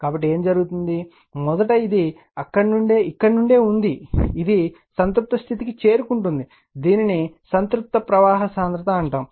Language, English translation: Telugu, So, what is happening, first it is we are from here, we have increasing the it will reach to the saturation, we call saturation flux density